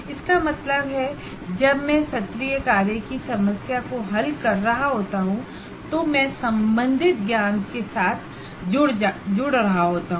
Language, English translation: Hindi, That means when I am solving the assignment problem, I am getting engaged with the knowledge concern